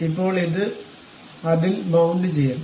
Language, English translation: Malayalam, Now, this one has to be mounted on that